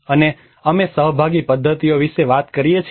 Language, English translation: Gujarati, And we talk about the participatory methods